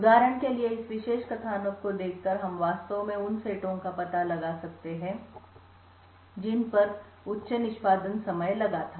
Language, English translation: Hindi, For example looking at this particular plot we can actually infer the sets which had incurred a high execution time